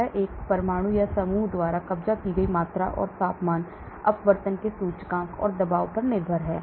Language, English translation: Hindi, This is the volume occupied by an atom or group and is dependent on the temperature, the index of refraction and the pressure